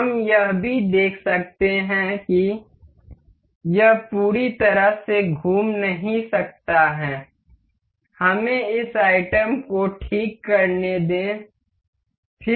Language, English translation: Hindi, We can see it has a it cannot rotate fully, let us just fix this item ok; click on fix